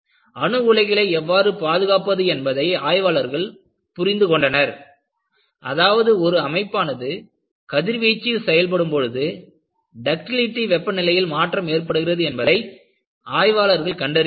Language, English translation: Tamil, People have to understand, how to safely guard the nuclear power plants; what they found was, when the structure is exposed to radiation, there is a drastic change happens on the nil ductility temperature